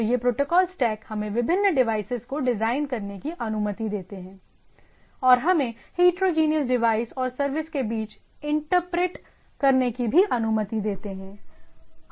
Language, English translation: Hindi, So, these protocol stacks allows us to design different devices and also allows to inter operate between heterogeneous devices and services